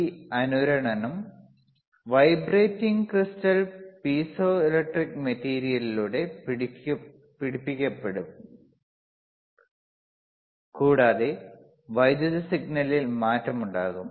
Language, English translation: Malayalam, Tthis resonance will be caught by the vibrating crystal piezoelectric material, this material is piezoelectric and there will be change in the electrical signal